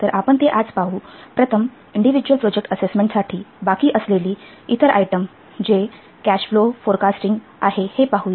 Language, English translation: Marathi, So that will see that now today we will first see the other item that is left for this individual project assessment that is cash flow forecasting